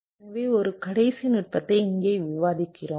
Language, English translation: Tamil, so, and one last technique we discuss here